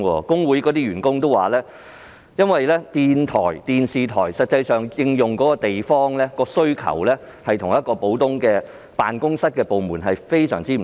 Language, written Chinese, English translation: Cantonese, 工會員工表示，電台或電視台對運營地方的需求與普通部門對辦公室的需求非常不同。, Members of its staff union have said the demand of a radio or television station for operating premises is very different from that of an ordinary department for office premises